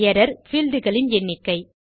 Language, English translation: Tamil, An error the number of fields